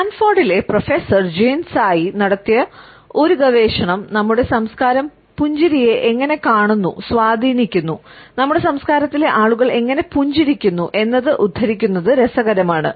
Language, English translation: Malayalam, It is interesting to quote a research by Jeanne Tsai, a professor at Stanford who has suggested that how our culture views smiling, influences, how people in our culture is smile and I quote from her